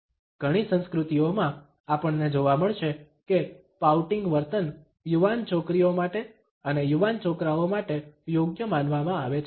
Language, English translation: Gujarati, In many cultures, we would find that pouting behaviour is considered to be appropriate for young girls and in appropriate for young boys